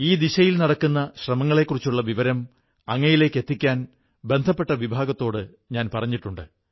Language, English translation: Malayalam, I have instructed the concerned department to convey to you efforts being made in this direction